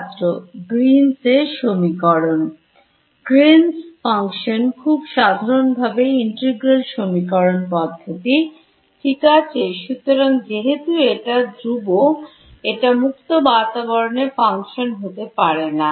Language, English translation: Bengali, Green’s function in more generally integral equation methods right particularly so, because this guy is constant its not a function of space